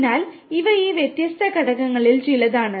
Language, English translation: Malayalam, So, these are some of these different components